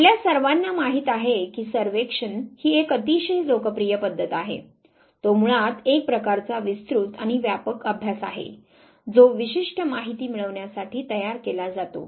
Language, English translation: Marathi, Again survey you all know it is a very popular method it is basically a kind of extensive and widespread study which is designed to yield specific information